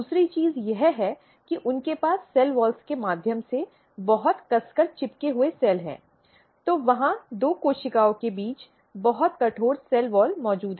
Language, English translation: Hindi, Second thing that they have a very tightly glued cells through the cell walls, so they are very rigid cell walls present between two cells